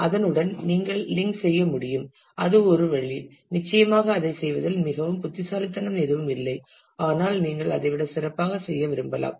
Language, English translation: Tamil, And you can link to that that is that is one way certainly there is nothing very smart in terms of doing that, but you can you would possibly like to do better than that